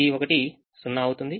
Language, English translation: Telugu, one becomes zero